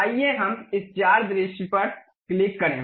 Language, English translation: Hindi, Let us click this four view